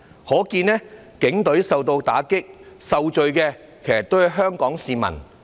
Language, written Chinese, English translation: Cantonese, 可見警隊受到打擊，受罪的還是香港市民。, Therefore if blows are dealt to the Police it is the Hong Kong public that will have to bear the consequences